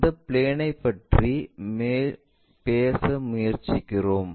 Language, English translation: Tamil, Which plane we are trying to talk about